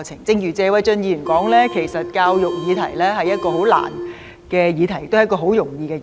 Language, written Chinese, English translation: Cantonese, 正如謝偉俊議員所說，其實教育議題是一項很難的議題，也是一項很容易的議題。, As Mr Paul TSE said education can actually be a very difficult subject and it can also be a very easy subject